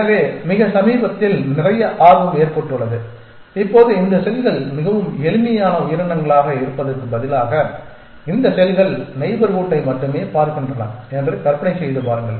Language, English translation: Tamil, So, more recently there has been a lot of interest and now imagine that instead of being this very simple creatures that these cells are which only look at the neighborhood